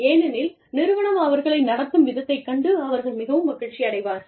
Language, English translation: Tamil, Because, they are so happy, with the way, that the organization is treating them